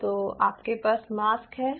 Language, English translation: Hindi, so you have a mask